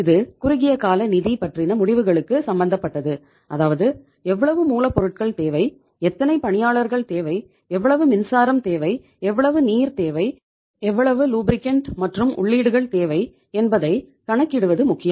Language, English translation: Tamil, It is concerned with short term financial decision making; how much raw material we need, how much workers we need, how much power we need, how much water we need, how much other lubricants inputs we need